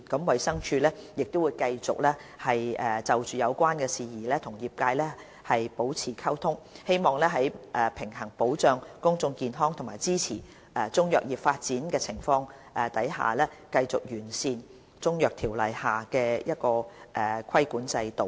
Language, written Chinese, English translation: Cantonese, 衞生署亦會繼續就有關事宜與業界保持溝通，希望在平衡保障公眾健康和支持中藥業發展之間，繼續完善《中醫藥條例》下的規管制度。, DH will also continue to maintain communication with traders on related matters in the hope of striking a balance between protecting public health and supporting the development of Chinese medicine and making constant improvements to the regulatory system under CMO